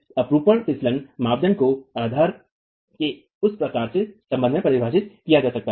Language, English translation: Hindi, The shear sliding criterion can be defined with respect to that sort of a basis